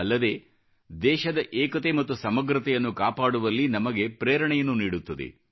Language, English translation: Kannada, It also inspires us to maintain the unity & integrity of the country